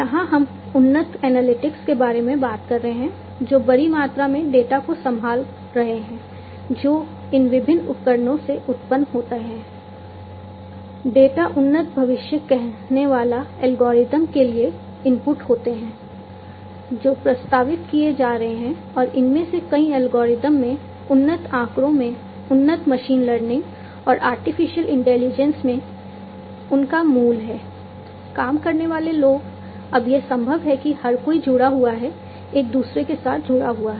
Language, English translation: Hindi, Advanced analytics here we are talking about handling huge amount of data, that are generated from these different devices the data are input to the advanced predictive algorithms, that are being proposed and many of these algorithms, have their base, have their origin in advanced statistics in advanced machine learning and artificial intelligence, people at work now it is possible that everybody is connected, interconnected with one another